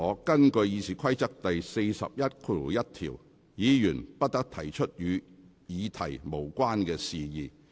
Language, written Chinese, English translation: Cantonese, 根據《議事規則》第411條，議員不得提出與議題無關的事宜。, According to RoP 411 Members shall not introduce matter irrelevant to that subject